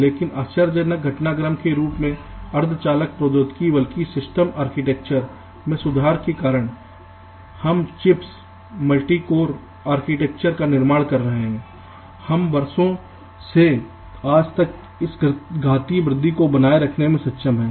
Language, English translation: Hindi, but surprisingly, with the developments, not only in semiconductor technology but also with enhancements and improvements in the architecture of the systems, the way we are building the chips, multi core architectures that we see today, so we have been able to sustain this exponential growth over the years till today